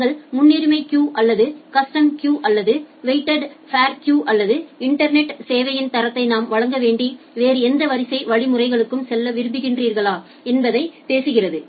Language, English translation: Tamil, Whether you want to go for priority queuing or a custom queuing or a weighted fair queuing or whatever other queuing mechanisms that we have to provide the internet quality of service